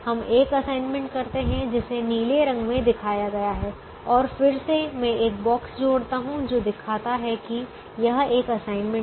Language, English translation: Hindi, we make an assignment which is shown in the blue color, and again let me add the box just to show that it is an assignment